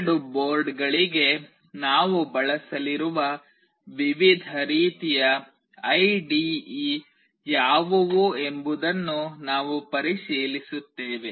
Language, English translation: Kannada, We will also look into what are the various kinds of IDE that we will be using for the two boards